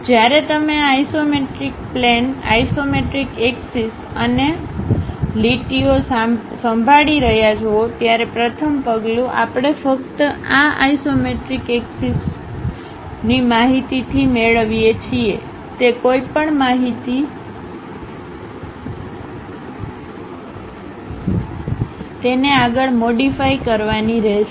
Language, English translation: Gujarati, So, the first step when you are handling on these isometric planes, isometric axis and lines; any information we have to get it from this isometric axis information only, that has to be modified further